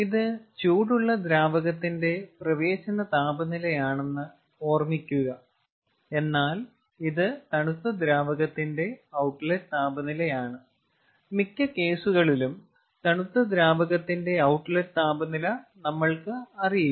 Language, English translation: Malayalam, mind that this is the inlet temperature of the hot fluid, but this is the outlet temperature of the cold fluid and in most of the cases we do not know the outlet temperature of the cold fluid